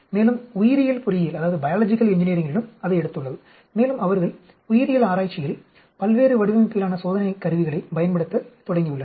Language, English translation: Tamil, And biological engineering also has taken it and they have started using the various design of experiments tools in the biological research